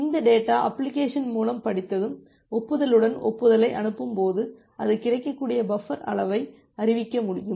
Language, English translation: Tamil, Once this data has been read by the application and when it is sending that the acknowledgement with the acknowledgement, it can announce the available buffer size